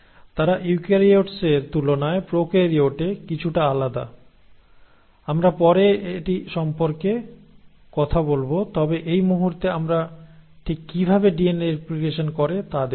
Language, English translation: Bengali, They are slightly different in prokaryotes than in eukaryotes, we will talk about that later, but right now we are just looking at exactly how DNA copies itself